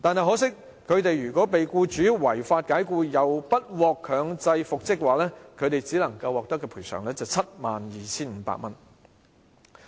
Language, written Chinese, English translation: Cantonese, 可惜，他們若被僱主違法解僱又不獲強制復職，只能獲得 72,500 元的賠償。, Sadly if they were unlawfully dismissed by their employers and not compulsorily reinstated they could only be compensated with 72,500